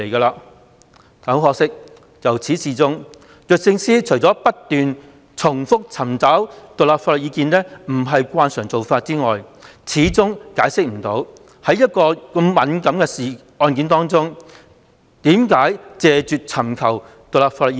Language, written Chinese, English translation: Cantonese, 不過，可惜的是，律政司由始至終除不斷重複尋求獨立法律意見不是慣常做法外，始終無法解釋為何拒絕就一宗如此敏感的案件尋求獨立法律意見。, But regrettably DoJ has kept saying throughout that seeking independent legal advice is not an established practice and it has even failed to explain why it refused to seek independent legal advice on this sensitive case